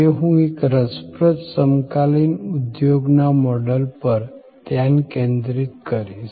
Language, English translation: Gujarati, Today, I will focus on one of the quite interesting contemporary business model